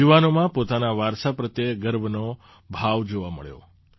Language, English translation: Gujarati, The youth displayed a sense of pride in their heritage